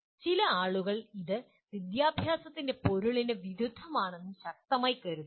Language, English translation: Malayalam, Some people strongly feel it is against the spirit of education itself